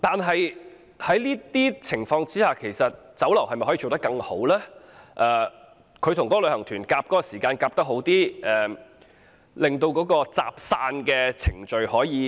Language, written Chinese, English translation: Cantonese, 在這情況之下，酒樓與旅行團在用膳時間方面可否配合得好一點，加快集散程序呢？, Under such circumstances can restaurants and tour groups make a better arrangement for mealtimes and expedite the process of assembling and dispersing visitors?